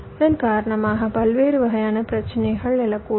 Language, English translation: Tamil, various kinds of problems may may arise because of this